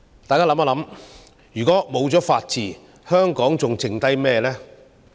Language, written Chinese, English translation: Cantonese, 大家試想想，如果沒有法治，香港還剩下甚麼？, Just imagine if there is no rule of law in Hong Kong what is left here?